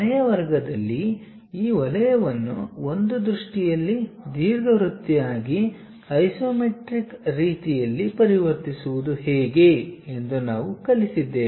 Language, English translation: Kannada, In the last class, we have learnt how to really transform this circle in one view into ellipse in the isometric way